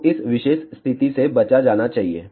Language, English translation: Hindi, So, this particular condition should be avoided